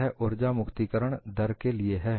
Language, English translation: Hindi, This is for energy release rate